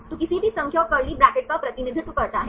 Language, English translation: Hindi, So, a a any number and curly bracket represents